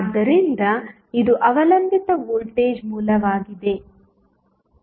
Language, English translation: Kannada, So, this is dependent voltage source